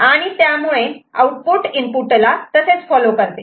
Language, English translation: Marathi, So, basically then output will be following the input